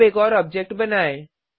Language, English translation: Hindi, Now, let us create one more object